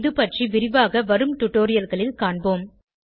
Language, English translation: Tamil, We will cover its details in future tutorials